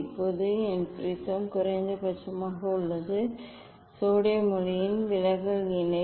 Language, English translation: Tamil, now my prism is at minimum deviation position for the sodium light